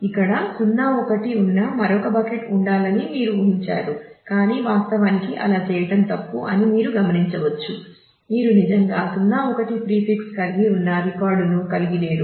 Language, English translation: Telugu, So, you would have expected that to have another bucket here which 0 1 is, but then you observe that actually that would be a quite a wasteful to do because you do not actually have a record which has a prefix 0 1